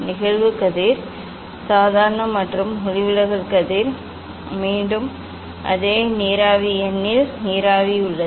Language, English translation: Tamil, incidence ray normal and refracted ray again remains on the same plane n of vapour